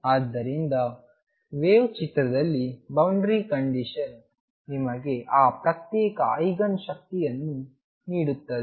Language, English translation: Kannada, So, in the wave picture it is the boundary condition that gives you those discrete Eigen energies